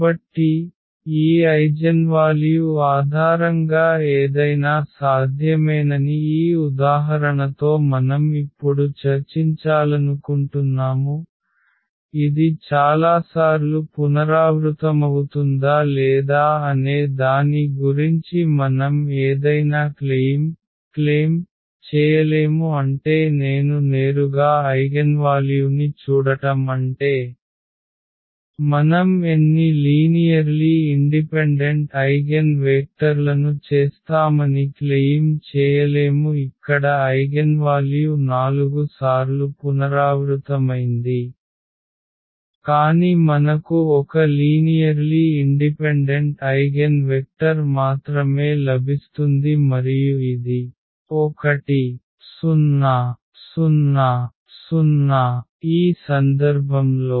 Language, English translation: Telugu, So, what we want to discuss now with this example that that anything is possible just based on this eigenvalue whether it’s repeated several times we cannot claim anything about I mean directly looking at the eigenvalue, we cannot claim that how many linearly independent eigenvectors we will get as this is the case here the eigenvalue was repeated 4 times, but we are getting only 1 linearly independent eigenvector and that is this 1 0 0 in this case